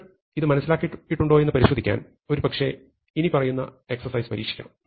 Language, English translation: Malayalam, So, to check that you have understood this, maybe you should try out the following exercise